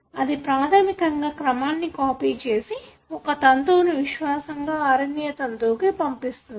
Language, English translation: Telugu, It basically copies the sequence such that, one of the strands is faithfully copied it into an RNA strand